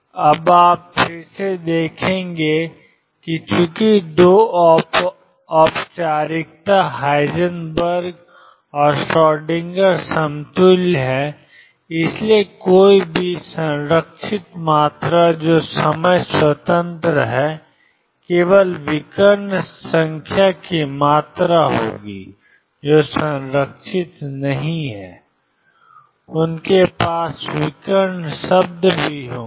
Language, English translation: Hindi, Now, again you will see that since the two formalism Heisenberg and Schrodinger are equivalent any conserved quantity that is time independent is going to have only diagonal terms quantities which are not conserved are going to have off diagonal terms also